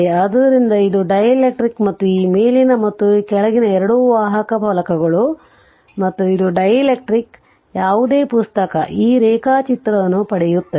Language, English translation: Kannada, So, this is dielectric and this upper and lower two conducting plates and in between this is your what you call in between, this is dielectric right any book you will get this diagram right